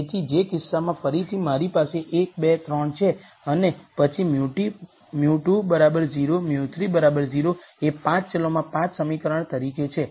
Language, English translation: Gujarati, So, in which case again I have 1 2 3 and then mu 2 equal to 0 mu 3 equal to 0 as 5 equations in 5 variables